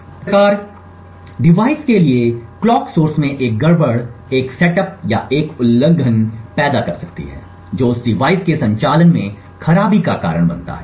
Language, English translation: Hindi, Similarly a glitch in the clock source for the device can create a setup or a hold violation injecting a fault into the operation of that device